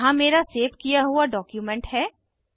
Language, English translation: Hindi, Click on Save button Here is my saved document